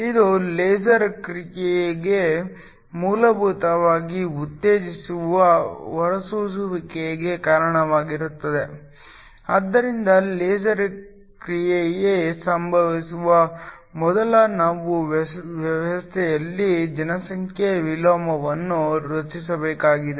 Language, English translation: Kannada, This leads the stimulated emission in basically in responsible for the laser action, so we need to create a population inversion in the system before laser action occurs